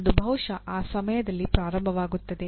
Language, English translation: Kannada, It possibly starts at that time